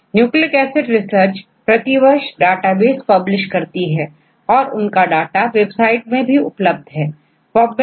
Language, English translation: Hindi, In Nucleic Acid Research this is published every year and also they maintain a website to give the collection of all the databases available in the literature